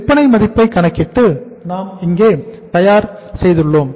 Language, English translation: Tamil, We have prepared by calculating the sales value